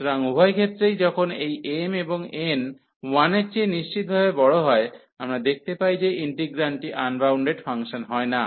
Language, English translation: Bengali, So, in both the cases this when this m and n are strictly greater than 1, we see that the integrand is not unbounded function